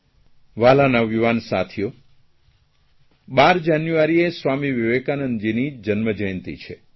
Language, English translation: Gujarati, Dear young friends, 12th January is the birth anniversary of Swami Vivekananda